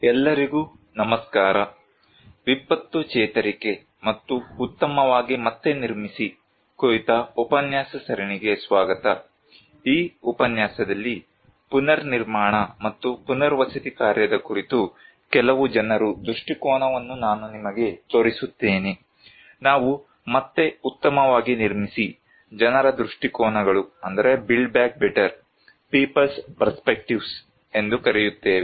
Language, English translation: Kannada, Hello everyone, welcome to the lecture series on disaster recovery and build back better, in this lecture, I will show you some people's perspective on a Reconstruction and Rehabilitation work, we call “build back better people's perspective”